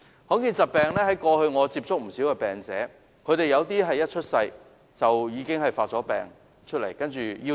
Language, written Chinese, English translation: Cantonese, 我過去曾接觸不少罕見疾病患者，有部分一出生時已經病發夭折。, I have got into touch with many rare disease patients over all these years . Some of them passed away soon after birth owing to the onset of their diseases